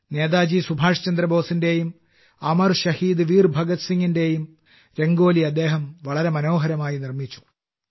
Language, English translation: Malayalam, He made very beautiful Rangoli of Netaji Subhash Chandra Bose and Amar Shaheed Veer Bhagat Singh